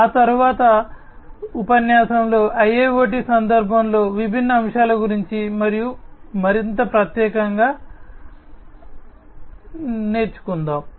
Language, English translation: Telugu, And thereafter, in the next lecture about you know the different aspects in the context of IIoT as well more specifically